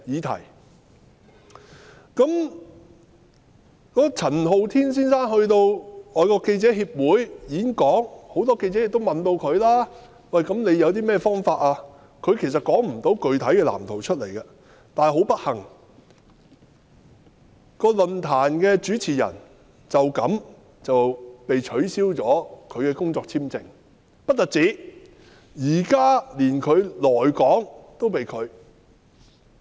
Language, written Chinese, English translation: Cantonese, 陳浩天先生到香港外國記者會演講，很多記者問他有甚麼方法實現他的理想，他亦說不出個具體藍圖，但很不幸，該論壇的主持人為此被取消了工作簽證，更連來港也被拒。, Mr Andy CHAN gave a speech at the Foreign Correspondents Club Hong Kong FCC . When many journalists asked him about the means to achieve his ideal he could not provide a specific blueprint . Unfortunately the host of the forum has his work visa rejected and even his entry into Hong Kong was denied